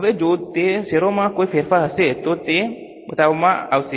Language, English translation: Gujarati, Now, if there is any change in those stocks, that will be shown